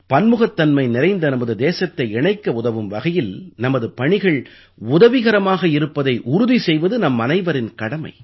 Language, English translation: Tamil, It is our duty to ensure that our work helps closely knit, bind our India which is filled with diversity